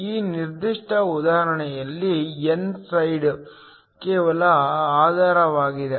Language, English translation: Kannada, In this particular example the n side is just grounded